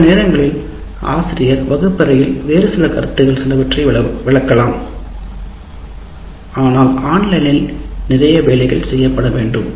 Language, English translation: Tamil, But sometimes the teacher may also explain some different concepts in the classroom but lot of work will have to be done online